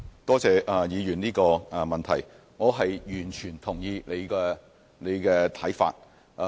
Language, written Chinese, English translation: Cantonese, 多謝陳議員的補充質詢，我完全認同他的看法。, I thank Mr CHAN for his supplementary question . I completely concur with his view